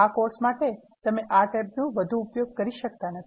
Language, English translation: Gujarati, For this course, you are not going to use this tab from much